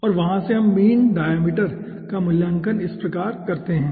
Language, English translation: Hindi, okay, and from their we evaluate the mean diameter like this